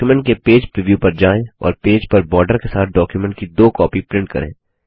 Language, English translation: Hindi, Have a Page preview of the document and print two copies of the document with borders on the page